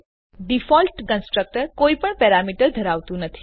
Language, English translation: Gujarati, Default constructor has no parameters